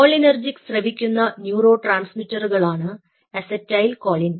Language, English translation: Malayalam, cholinergic are the ones which are secreting acetylcholine are the neurotransmitters